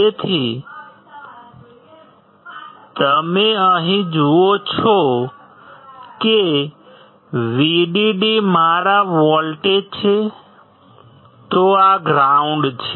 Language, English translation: Gujarati, So, you see here that if vdd is my voltage this is ground